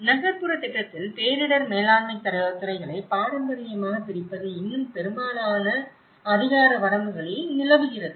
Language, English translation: Tamil, Traditional separation of the departments of disaster management in urban planning is still prevalent in most jurisdictions